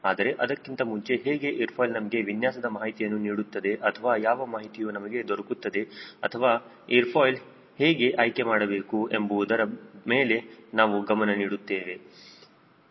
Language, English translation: Kannada, but before that, i want to focus on how an airfoil gives us information regarding your design process, or what are the information we get, or how to choose an airfoil